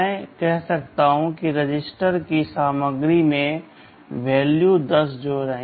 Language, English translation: Hindi, I may say add the value 10 to the content of a register